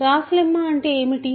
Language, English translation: Telugu, What is Gauss lemma